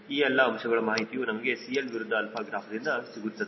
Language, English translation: Kannada, these are the information which we get from cl versus alpha graph